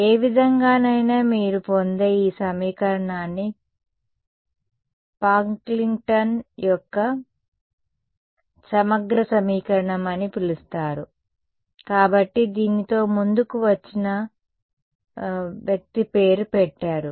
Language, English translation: Telugu, Any way this equation that you get is what is called the Pocklington’s integral equation alright, so it is named after the person who came up with this